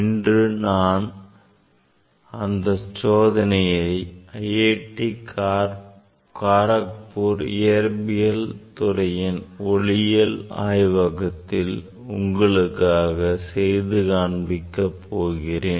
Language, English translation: Tamil, today now, I will demonstrate this experiment in our optics lab of Department of Physics of IIT Kharagpur